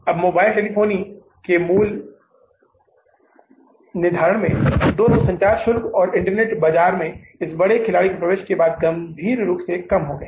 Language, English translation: Hindi, Now, the pricing of the mobile telephony, both communication charges, that is the internet as well as the mobile telephone have seriously come down after the entry of this big player in the market